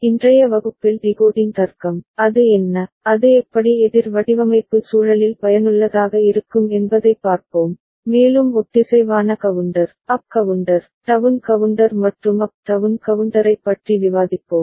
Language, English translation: Tamil, Today’s class we shall look at decoding logic, what it is and how it is useful in counter design context and also we shall discuss synchronous counter, up counter, down counter and up down counter